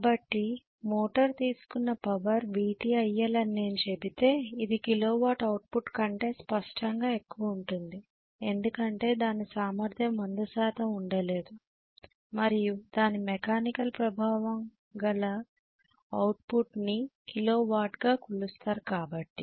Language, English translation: Telugu, So if I say VT multiplied by IL is the total power drawn by the motor this will be greater than the kilo watt output clearly because the efficiency cannot be 100 percent clearly and kilo watt output what is measured is mechanical in nature